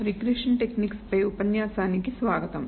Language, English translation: Telugu, Welcome to this lecture on Regression Techniques